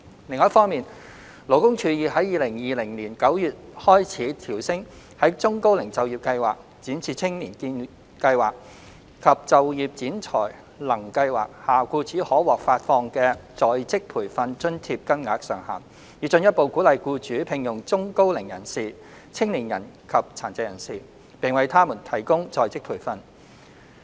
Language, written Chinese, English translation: Cantonese, 另一方面，勞工處已於2020年9月開始，調升在中高齡就業計劃、展翅青見計劃及就業展才能計劃下僱主可獲發放的在職培訓津貼金額上限，以進一步鼓勵僱主聘用中高齡人士、青年人及殘疾人士，並為他們提供在職培訓。, Separately the Labour Department LD has starting from September 2020 raised the ceiling of on - the - job training OJT allowance payable to employers under the Employment Programme for the Elderly and Middle - aged the Youth Employment and Training Programme and the Work Orientation and Placement Scheme with a view to further encouraging employers to hire the elderly and middle - aged young people and persons with disabilities and provide them with OJT